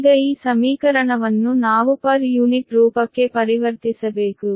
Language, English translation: Kannada, now, this equation we have to converted to per unit form, right